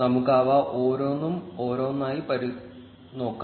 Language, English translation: Malayalam, Let us look at each one of them one by one